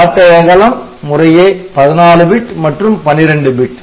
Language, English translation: Tamil, So, this width values 14 bits 12 bits